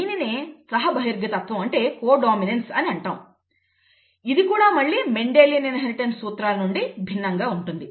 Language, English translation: Telugu, That is what is called co dominance which is again a difference from the Mendelian inheritance